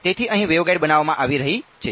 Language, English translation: Gujarati, So, here the waveguide is being made